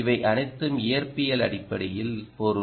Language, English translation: Tamil, all of this means, in physics terms, the right